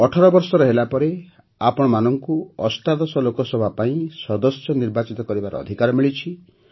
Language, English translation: Odia, On turning 18, you are getting a chance to elect a member for the 18th Lok Sabha